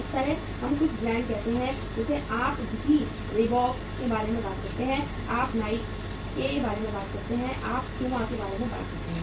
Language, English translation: Hindi, Similarly, we have some branded say apparels also like you talk about the Reebok, you talk about the Nike, you talk about the Puma